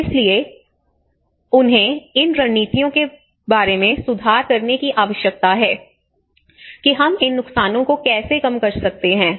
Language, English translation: Hindi, So they need to improve these strategies how we can reduce these losses